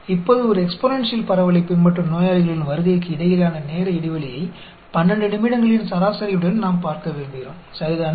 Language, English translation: Tamil, Now, we want to look at time interval between patients visit follows an exponential distribution, with the mean of 12 minutes, right